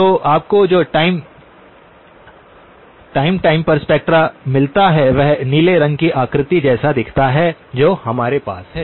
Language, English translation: Hindi, So, what you get is periodic spectra which are looks like this blue figure that we have